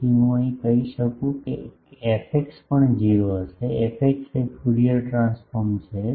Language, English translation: Gujarati, So, can I say fx will be also 0, fx is the Fourier transform